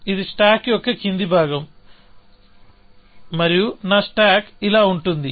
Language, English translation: Telugu, So, this is the bottom of my stack, and my stack is going like this